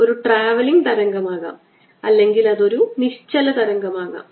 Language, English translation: Malayalam, if travelling, it could be a stationary wave